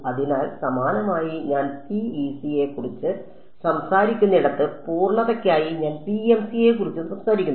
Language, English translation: Malayalam, So, similarly I just for sake of completeness where talk of PEC I also talk about PMC ok